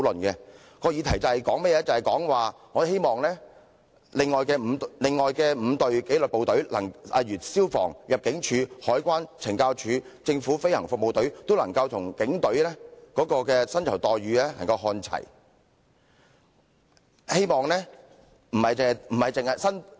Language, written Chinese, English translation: Cantonese, 議題關於我們希望另外5支紀律部隊，即消防處、入境處、海關、懲教署及政府飛行服務隊，薪酬待遇都能與警隊看齊。, The topic is about our wish to bring the remuneration packages for the other five disciplined services namely the Fire Services Department Immigration Department Customs and Excise Department CSD and Government Flying Service on par with those for the Police Force